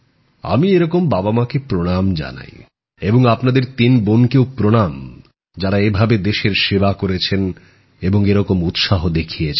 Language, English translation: Bengali, And I feel… pranam to such parents too and to you all sisters as well who served the country like this and displayed such a spirit also